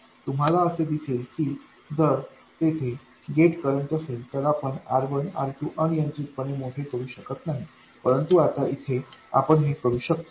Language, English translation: Marathi, You will see that if there is a gate current then you can't make R1 and R2 arbitrarily large but now you can